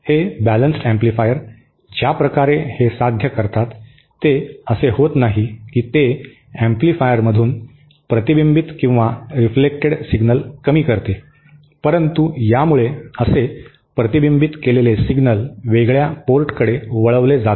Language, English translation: Marathi, The way these balanced amplifiers achieve that is not that it reduces the reflected signal from an amplifier, but it kind of causes the reflected signal to be diverted to the isolated port